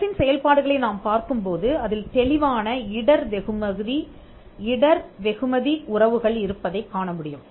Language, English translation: Tamil, If you see the functions of the state, there are clear risk reward relationships